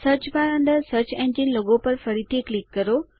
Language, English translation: Gujarati, Click on the search engine logo within the Search bar again